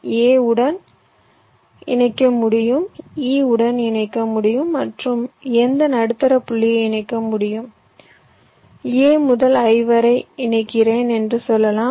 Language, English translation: Tamil, so let say so, a has to be connected to e and i, i can connect to a, i can connect to e, i can connect to any of the middle point